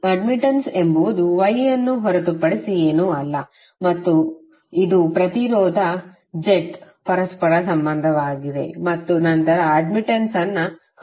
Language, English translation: Kannada, Admittance is nothing but Y and it is reciprocal of the impedance jet and then you can some up to find out the admittance